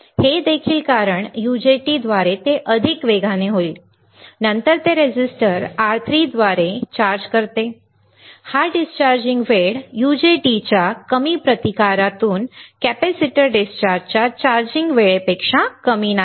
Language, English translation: Marathi, This one also because rapidly such is more quickly through UJT, then it does charging through resistor R3, right, this discharging time is not less than the charging time of capacitor discharges through the low resistance of UJT ok